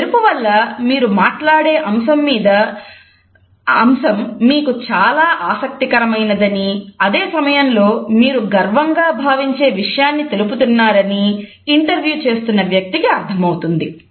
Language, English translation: Telugu, This shine and a sparkle allows the interviewer to think that what you are talking about is actually an aspect in which you are interested and at the same time you are revealing and information of which you are proud